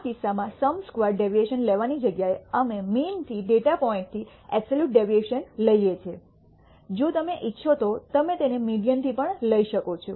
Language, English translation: Gujarati, In this case instead of taking the sum squared deviation, we take the absolute deviation of the data point from the mean; you can also take it from the median if you wish